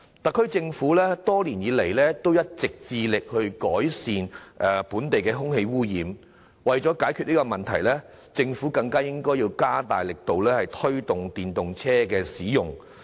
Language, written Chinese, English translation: Cantonese, 特區政府多年來一直致力改善本地空氣污染問題，而為了解決這問題，政府更應加大力度推動電動車的使用。, The SAR Government has all along been working vigorously to mitigate the problem of air pollution over the past many years and in order to have the problem resolved the Government should strengthen its actions on the promotion of the use of EVs